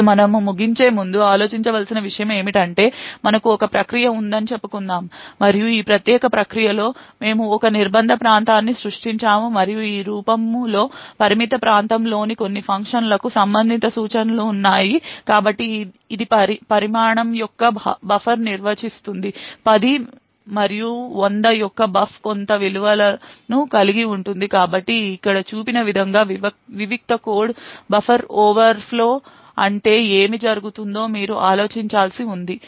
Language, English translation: Telugu, think about so let us say we have this one process and within this particular process we have created a confinement area and some function within this confined area has instructions of this form, so it defines a buffer of size 10 and that buf of 100 is having some value, so you need to think about what happens if there is a buffer overflow in the isolated code as shown over here